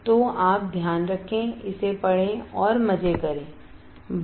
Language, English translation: Hindi, So, you take care read this and have fun bye